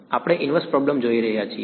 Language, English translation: Gujarati, We are looking at the inverse problem